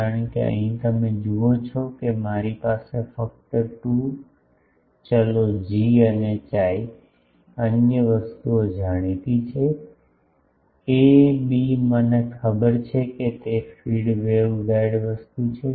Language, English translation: Gujarati, Because, here you see that I have only 2 variables G and chi other things are known, a b are known to me that those are feed waveguide thing